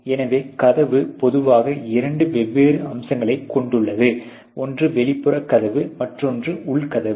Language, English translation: Tamil, So, door typically is comprised of two different aspects; one is the door outer ok, and the door inner